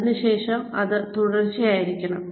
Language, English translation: Malayalam, It has to be continuous